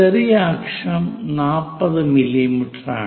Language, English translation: Malayalam, The other one minor axis is at 40 mm